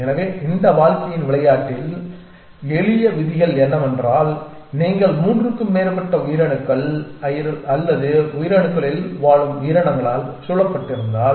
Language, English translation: Tamil, So, the simple rules in this conveys game of life are that if you are surrounded by more than three living cells or creatures in living in cells